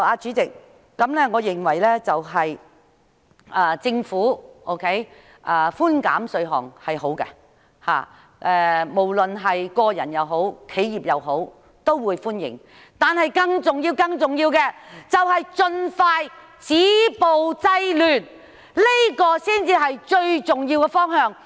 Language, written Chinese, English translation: Cantonese, 主席，我認為政府寬減稅項是好的，無論是個人或企業也會歡迎，但更重要的是盡快止暴制亂，這才是最重要的方向。, Chairman I think the Governments proposed tax concession is good and will be welcomed by both individuals and enterprises . Nonetheless the most important direction is to expeditiously stop violence and curb disorder